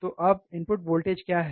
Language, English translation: Hindi, So, what is the input voltage now